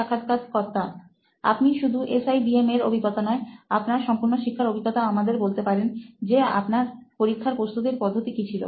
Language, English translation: Bengali, Basically you can share your experience not only from SIBM, your entirely, from your entire learning experience you can tell us how you probably approach examinations